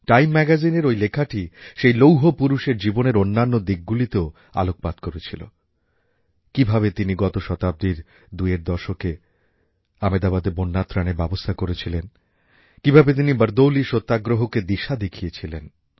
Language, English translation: Bengali, The story also brings to the fore other aspects of the life of the Iron Man of India… the manner in which he had managed relief operations during the Ahmedabad floods in the 1920s; the way he steered the BardoliSatyagrah